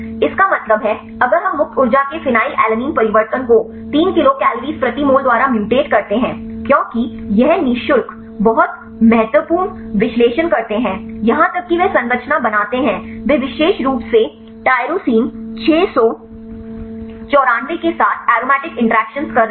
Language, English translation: Hindi, That means, if we mutate the phenyl alanine change of free energy by 3 kilocal per mole because these free analyze very important even they structure they are making good interactions specifically aromatic aromatic interactions with tyrosine 694